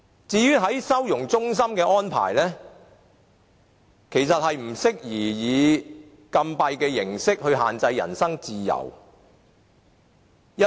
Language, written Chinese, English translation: Cantonese, 至於收容中心的安排，其實不適宜以禁閉的形式限制人身自由。, As to the arrangement for the holding centre actually it will be inappropriate to throw them into confinement and to restrict their personal freedom